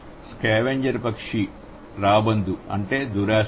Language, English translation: Telugu, Scavenger bird, a vulture, that means greed